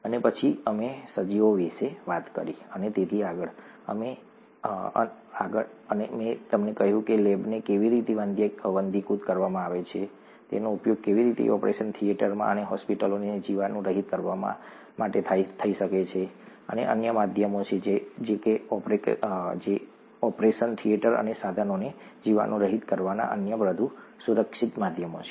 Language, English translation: Gujarati, And then we talked about organisms and so on so forth and I told you how a lab is sterilized, how that can also be used to sterilize operation theatres and hospitals, and there are other means, other more, other more safer means of sterilizing operation theatres and instruments